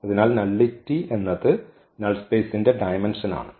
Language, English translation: Malayalam, So, nullity is nothing, but its a dimension of the null space of A